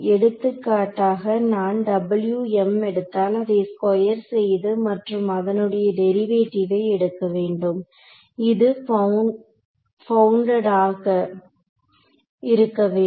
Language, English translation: Tamil, So, for example, if I take W m x square it and I take the derivative, this should be bounded ok